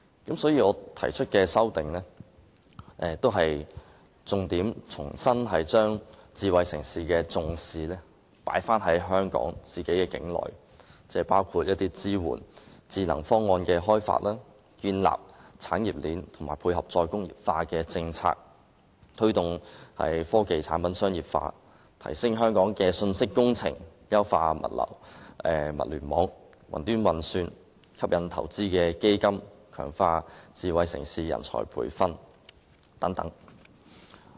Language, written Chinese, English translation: Cantonese, 因此，我提出修正案旨在重新把智慧城市的重點放回香港境內，包括支援智能方案的開發、建立產業鏈、配合"再工業化"政策、推動科技產品商業化、提升香港的信息工程、優化物聯網、雲端運算、吸引投資基金，以及強化智慧城市人才培訓等建議。, As such privacy will become even more unprotected . This is why my proposed amendment seeks to put the emphases of a smart city back to Hong Kong including providing support for the development of smart solutions establishing an industry chain tying in with the re - industrialization policy promoting the commercialization of technology products upgrading the information engineering of Hong Kong enhancing the Internet of Things and cloud computing and attracting investment funds to strengthen smart city manpower training